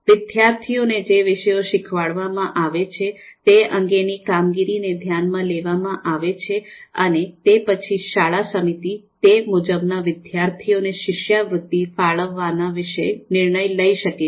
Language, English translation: Gujarati, So the performance of the students on the subjects that they are being taught that can be you know taken into account and the school committee then accordingly you know they can take a call in terms of allocating scholarships to meritorious students